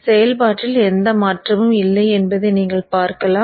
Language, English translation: Tamil, You see that there is no change in the operation